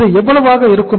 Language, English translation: Tamil, So this will be how much